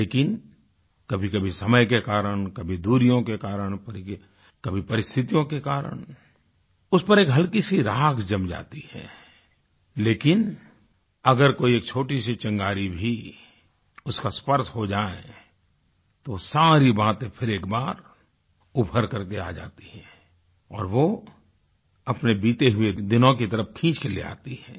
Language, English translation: Hindi, But, sometimes because of time, sometimes because of distance and at times because of situations that spirit gets faded but just with a touch of a tiny spark, everything reemerges which takes one back to old memories